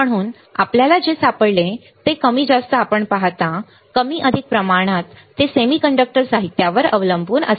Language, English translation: Marathi, So, more or less you see what we have found, more or less it depends on the semiconductor material